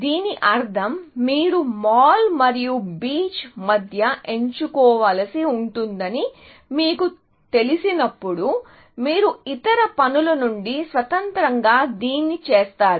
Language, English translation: Telugu, This means that when you know that you have to choose between mall and beach, you do this independent of the other things